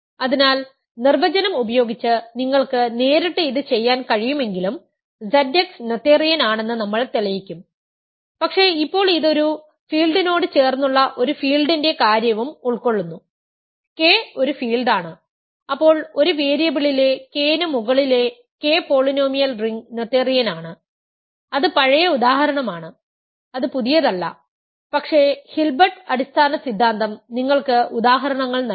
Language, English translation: Malayalam, So, this in particular we will prove that Z x is noetherian though you could do that directly just using the definition, but now and also it covers the case of a field adjoined x, K is a field then K polynomial ring over K in one variable is noetherian that is old example that is not new, but it Hilbert basis theorem does giving you examples